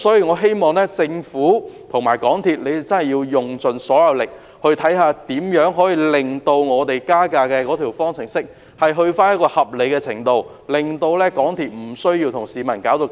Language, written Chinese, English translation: Cantonese, 我希望政府和港鐵公司盡力研究如何令加價方程式回復到合理程度，令港鐵公司不用與市民對立。, I hope that the Government and MTRCL can strive to explore how to restore the formula on fare increase to its reasonable level so that MTRCL will not be put in conflict with the people